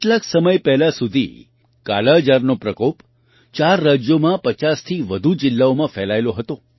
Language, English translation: Gujarati, Till recently, the scourge of Kalaazar had spread in more than 50 districts across 4 states